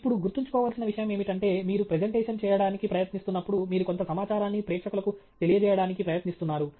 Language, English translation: Telugu, Now, the point to remember or the point to keep in mind is that when you are trying to make a presentation, you are trying to convey some information to the audience